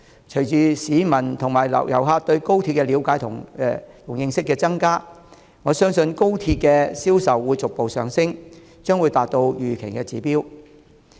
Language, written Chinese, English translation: Cantonese, 隨着市民和遊客對高鐵的了解和認識增加，我相信高鐵車票的銷售會逐步上升，達到預期的指標。, As members of the public and visitors understand and know more about XRL I believe the sales of XRL tickets will gradually rise and reach the expected target